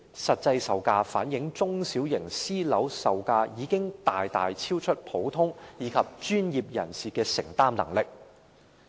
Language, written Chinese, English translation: Cantonese, 這些數據反映中小型私人樓宇的售價已經大大超出普通市民及專業人士的承擔能力。, These data reflect that the selling prices of small and medium units have far exceeded the affordability of ordinary citizens and professionals